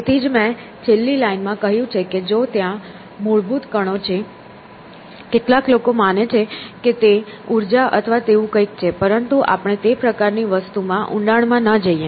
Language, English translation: Gujarati, So, which is why in the last line I had said that if there are fundamental particles; you know some people believe that it is all energy or something out there essentially, but that let us not get into that kind of a thing